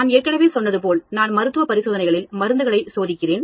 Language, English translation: Tamil, As I said, you know, I am testing drugs in the clinical trials